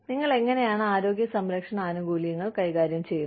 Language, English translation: Malayalam, How do you manage healthcare benefits